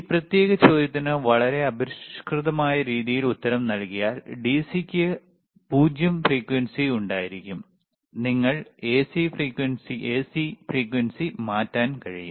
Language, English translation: Malayalam, In a very crude way to answer this particular question, the DC would have 0 frequency while AC you can change the frequency